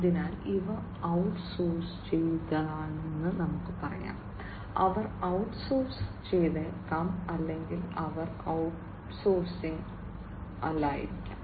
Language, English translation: Malayalam, So, this will be like let us say that these are outsourced, they maybe outsource or they may not be outsource